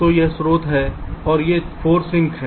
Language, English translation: Hindi, so this is the source and these are the four sinks